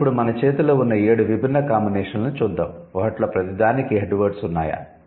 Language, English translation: Telugu, But let's see the seven different combinations that we have in hand now, does it have, like do they have head words in each of them